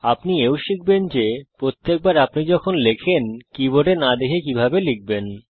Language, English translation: Bengali, You will also learn to: Type without having to look down at every time you type